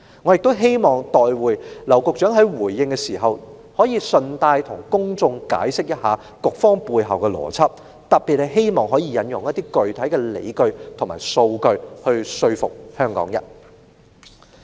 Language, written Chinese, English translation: Cantonese, 我亦希望稍後劉局長在回應時順帶向公眾解釋措施背後的邏輯，特別希望他可以引用具體理據和數據以說服香港人。, I would also like Secretary LAU to explain the rationale behind the measure in his reply citing concrete arguments and data particularly to convince the Hong Kong people